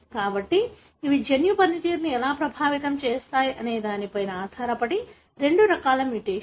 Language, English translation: Telugu, So, these are two classes of mutation depending on how they affect the gene function